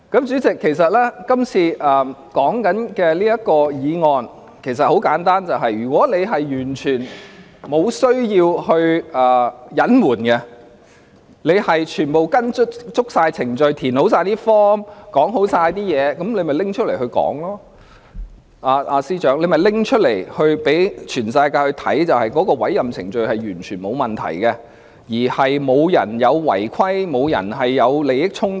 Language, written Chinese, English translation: Cantonese, 主席，今天討論的議案其實很簡單，就是如果當局完全沒有需要隱瞞，全部也是按照程序填寫表格和申報，便應該拿出文件來讓全世界看，證明律政司司長的委任程序完全沒有問題，亦沒有人違反規定及涉及利益衝突。, President the motion discussed today is actually very simple . If the authorities have nothing to hide as all the relevant forms and declarations have been duly completed they should disclose these documents to the public to prove that the appointment of the Secretary for Justice was perfectly in order with no one violating any rules or involving in any conflict of interest